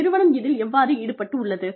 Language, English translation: Tamil, How involved, the organization is